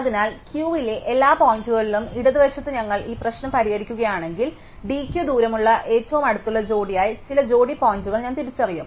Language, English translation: Malayalam, So, if we solve this problem on the left among all the points in Q, I will identify some pair of points as being the nearest pair with the distance d Q